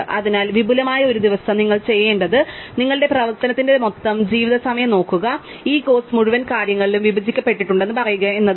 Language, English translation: Malayalam, Therefore, day one with expansive what you have to do is look at the total life time of your operation and say this course is divided across the entire things